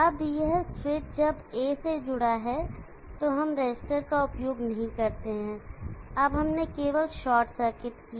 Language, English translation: Hindi, Now this switch when it is connected to A, we do not use a resistor now we just did a short circuit